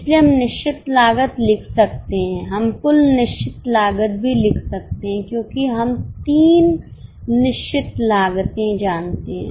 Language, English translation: Hindi, We can even write the total fixed costs because we know the three fixed costs